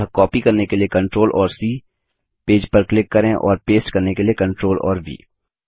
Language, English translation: Hindi, So Ctrl and Cto copy click on page one and Ctrl and V to paste